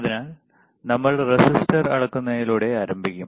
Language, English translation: Malayalam, So, we will start with measuring the resistor